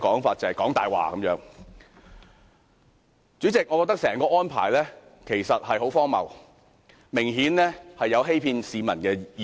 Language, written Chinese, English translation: Cantonese, 主席，我認為政府的整體安排十分荒謬，明顯有欺騙市民的嫌疑。, President I think the Governments overall arrangement is very absurd and there is a very strong suspicion that the Government is deceiving the public